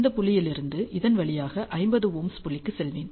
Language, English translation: Tamil, From this point I will go in this way to the 50 Ohm point